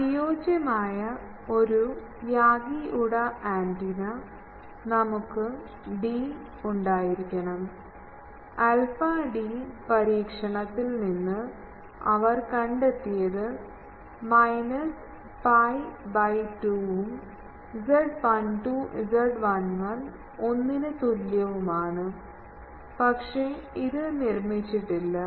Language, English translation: Malayalam, We should have d should be, this people have found from experiment alpha d is equal to minus pi by 2 and z 12 z 11 is equal to 1, but this is not made